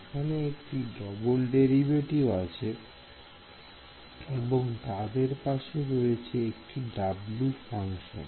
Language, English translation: Bengali, So, there is a it seems to be a double derivative right and there is a W function next to it right